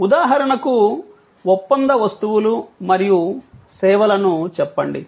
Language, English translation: Telugu, For example, say the contractual goods and services